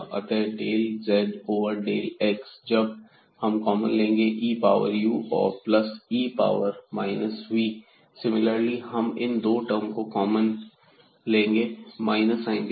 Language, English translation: Hindi, So, del z over del x when we take common it will be e power u and plus e power minus v; similarly here when we take these 2 terms common with minus sign